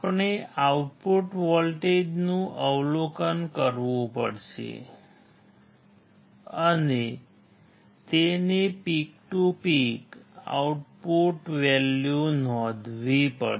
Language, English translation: Gujarati, We have to observe the output voltage and note down its peak to peak output value